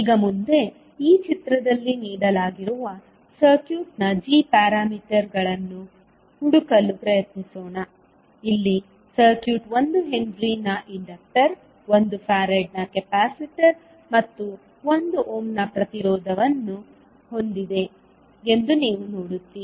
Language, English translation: Kannada, Now next, let us try to find the g parameters of the circuit which is given in this figure, here you will see that the circuit is having inductor of one henry capacitor of 1 farad and one resistance of 1 ohm